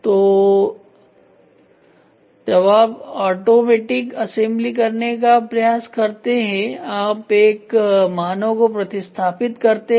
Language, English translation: Hindi, So, when we try to do automatic assembly you are replacing the man